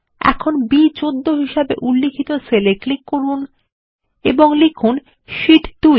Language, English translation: Bengali, Here lets click on the cell referenced as B14 and enter Sheet 2